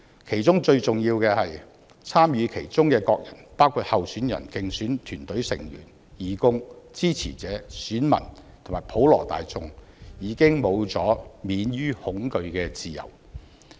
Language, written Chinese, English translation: Cantonese, 其中最重要的是，參與其中的各人，包括候選人、競選團成員、義工、支持者、選民，以及普羅大眾已經沒有了免於恐懼的自由。, Most importantly all parties involved in the Election―candidates electioneering team members volunteers supporters electors and the general public―have already lost their freedom from fear